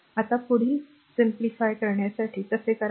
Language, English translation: Marathi, Now for further simplification how will do